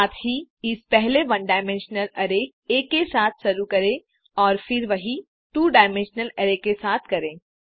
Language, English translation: Hindi, Also, let us first do it with the one dimensional array A, and then do the same thing with the two dimensional array